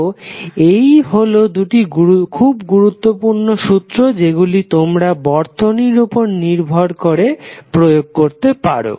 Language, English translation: Bengali, So these are the 2 important laws based on the circuit you can apply them